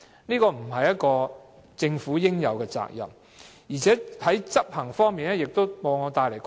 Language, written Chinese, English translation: Cantonese, 這不是政府應該做的，而且在執行方面往往帶來困難。, This is not what the Government should do and what is more this will often make implementation difficult